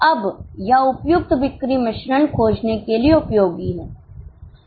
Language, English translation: Hindi, Now this is useful for finding suitable sales mix